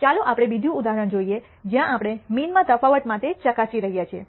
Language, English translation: Gujarati, Let us look at another example where we are testing for di erence in means